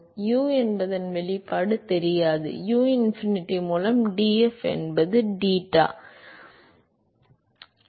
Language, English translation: Tamil, So, do not know the expression for u, u by uinfinity is df by d eta